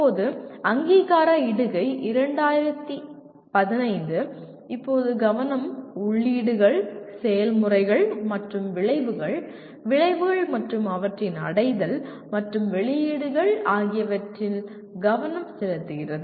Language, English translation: Tamil, Now, accreditation post 2015, the focus now is on inputs, processes and outcomes, outcomes and their attainment and outputs